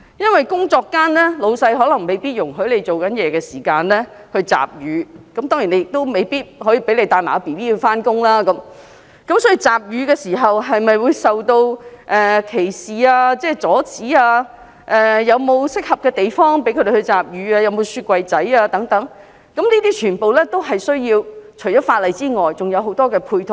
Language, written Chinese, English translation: Cantonese, 因為在工作間老闆未必容許她在工作時間集乳，當然，更未必讓她帶嬰兒上班，因此，集乳時會否受到歧視、阻止，例如有否適合的地方讓她們集乳、有否提供冰箱等，這些除了需要法例外，還需要很多配套。, And of course their employers may not allow them to bring their babies to work . Hence apart from legislation there must be many supporting measures to prohibit discrimination against or hindrance to female employees expressing breast milk . For instance are suitable places available for them to express breast milk?